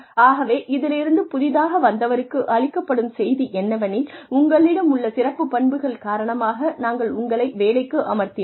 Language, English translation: Tamil, And so, the message, that is given to the newcomer is, that yes, we hired you, because of your special characteristics